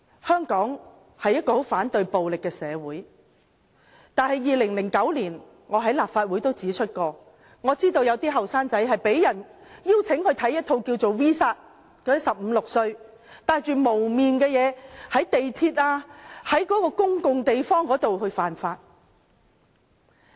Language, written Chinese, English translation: Cantonese, 香港是一個非常反對暴力的社會，但我曾在2009年立法會會議上指出，我知道有一些年青人被邀請觀看 "V 煞"的電影，片中那些15歲、16歲的人戴着面具，在地鐵或公共地方犯法。, Hong Kong is a society that strongly detests violence . As I pointed out in a meeting of this Council in 2009 some young people were invited to watch the film V for Vendetta in which 15 - to - 16 - year - olds wearing masks break the law on the underground or in public places